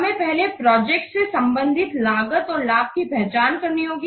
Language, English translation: Hindi, First we have to identify the cost and benefits pertaining to the project